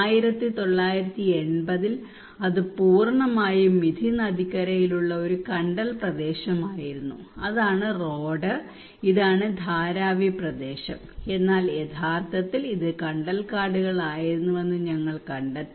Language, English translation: Malayalam, What we found that in 1980 it was a mangrove area totally on Mithi river, that is the road, and this is the Dharavi area, but it was actually a mangrove areas